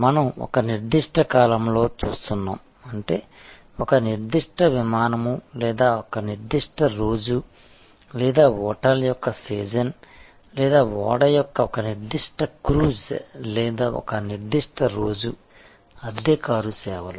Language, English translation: Telugu, And we are looking in to one particular episode; that means one particular flight or one particular day or season of a hotel or one particular cruise of a ship or one particular day of rental car services